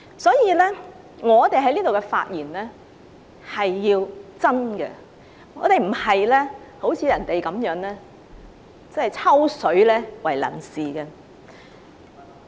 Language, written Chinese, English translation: Cantonese, 所以，我們在這裏的發言必須真，而並非像人家那樣以"抽水"為能事。, Therefore we must be earnest when giving a speech here rather than piggybacking on others all the time like those Members